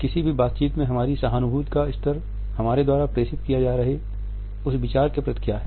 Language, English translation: Hindi, In any interaction what is the level of our empathy which we have towards the content which is being passed on